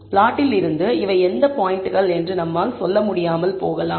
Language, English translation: Tamil, So, from the plot, we may not be able to tell which points are these